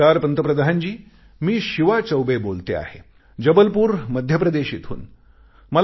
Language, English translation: Marathi, "Namaskar Pradhan Mantri ji, I am Shivaa Choubey calling from Jabalpur, Madhya Pradesh